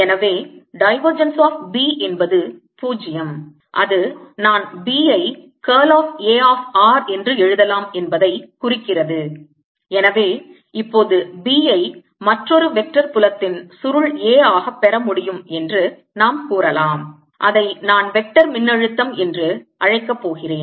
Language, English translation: Tamil, so divergence of b is zero implies where i can write b as curl of a, of r, and therefore now we can say that b can be obtained as the curl of another vector, field, a, which i am going to call the vector potential